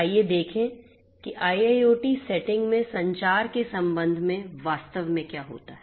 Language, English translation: Hindi, Let us look at what actually happens with respect to communication in an IIoT setting